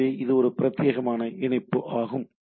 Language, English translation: Tamil, So, this is a dedicated connection